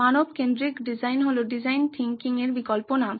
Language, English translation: Bengali, Human centered design is an alternate name for design thinking